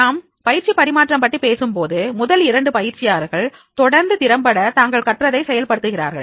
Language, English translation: Tamil, Whenever we are talking about the training transfer, the transfer of training refers to trainees effectively and continually applying what they learned in training